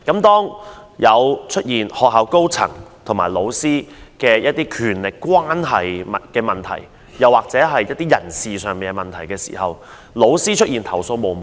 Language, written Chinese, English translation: Cantonese, 當出現學校高層與老師的權力關係問題或一些人事問題時，老師往往投訴無門。, When there are power struggles between the top management and teachers or when personnel issues arise in school teachers have no channel to lodge their complaints